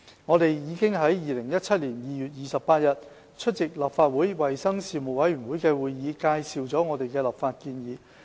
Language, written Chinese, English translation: Cantonese, 我們已於2017年2月28日出席立法會衞生事務委員會的會議，介紹我們的立法建議。, We already presented our legislative proposals in the meeting of the Legislative Councils Panel on Health Services held on 28 February 2017